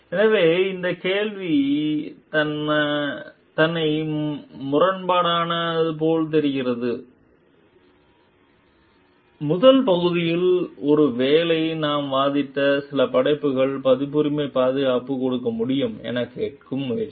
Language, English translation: Tamil, So, this question itself means sound like contradictory like, you in the first part maybe we are arguing we trying to ask like what are the some creations which can be given a copyright protection